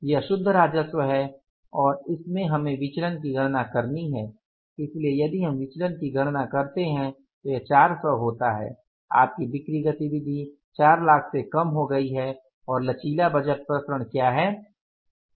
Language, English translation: Hindi, So,, if you calculate the variance this comes out as 400s, your sales activity has come down by 400,000s and what is the flexible budget variance